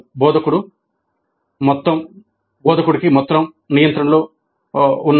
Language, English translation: Telugu, The instructor is in total control